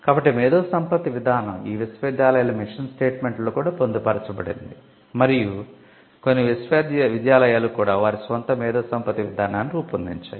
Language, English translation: Telugu, So, the intellectual property policy was also embedded in the mission statements of these universities and some universities also created their own intellectual property policy